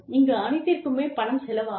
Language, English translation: Tamil, After all, everything costs money